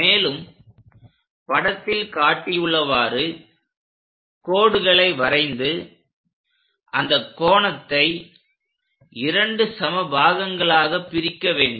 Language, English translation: Tamil, So, let us connect the lines which are going all the way up then we have to bisect this angles into 2 equal parts